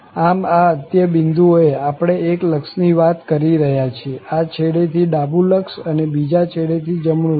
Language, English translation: Gujarati, So, therefore, at these endpoints, we are talking about one limit, so, the left limit from this end and then right limit from the other end